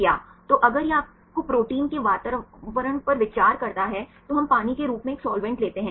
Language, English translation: Hindi, So, if it consider you proteins environment, then we take a solvent as water right